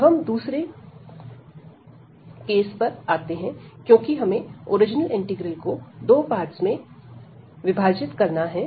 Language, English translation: Hindi, Now, coming to the second integral, because we have break the original integral into two parts